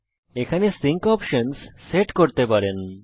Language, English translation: Bengali, You can set your sync option here